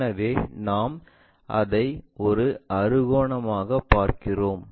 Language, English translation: Tamil, So, that one what we are seeing it as a hexagon